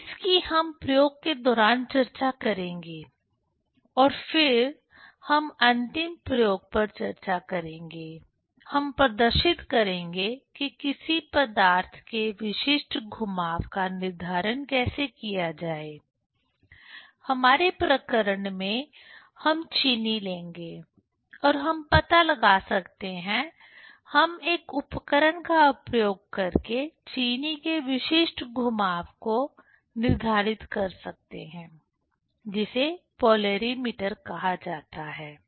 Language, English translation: Hindi, So, that we will discuss during the experiment and then last experiment we will, we will discuss, we will demonstrate how to determine the specific rotation of a substance; in our case we will take sugar and we can find out, we can determine the specific rotation of sugar using an instrument that is called polarimeter